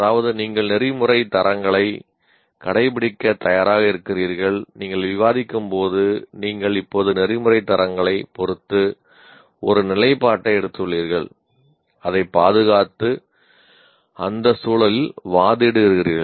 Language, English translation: Tamil, That means when you are discussing, you are now have taken a position with respect to ethical standards and defending it and arguing within that context